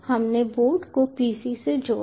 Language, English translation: Hindi, we attached the board to the pc